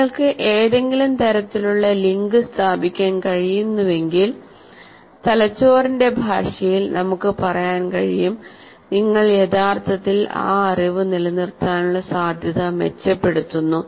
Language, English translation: Malayalam, If you are able to establish some kind of a link, then you are actually really, you can say in the language of the brain that you are improving the chances of retention of that knowledge